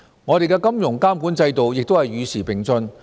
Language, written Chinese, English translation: Cantonese, 我們的金融監管制度亦與時並進。, Our financial regulatory regime has also been improved over time